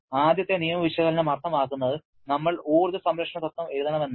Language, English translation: Malayalam, First law analysis means we have to write an energy conservation principle